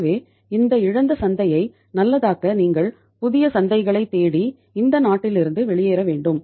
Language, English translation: Tamil, So to make this lost market good you have to go out of this country in search of new markets